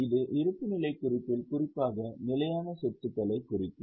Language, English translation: Tamil, It also appears in the balance sheet especially with reference to fixed assets